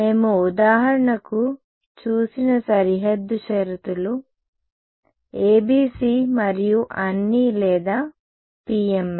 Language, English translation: Telugu, Boundary conditions we have seen for example, ABC and all or PML